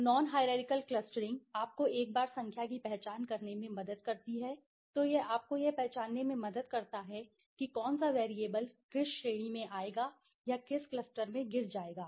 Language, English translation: Hindi, So, non hierarchical clustering helps you to once you have identified the number then it helps you to identify which variable will fall into or which respondent will fall into which cluster right